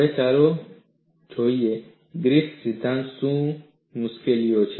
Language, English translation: Gujarati, And let us see, what are the difficulties in Griffith theory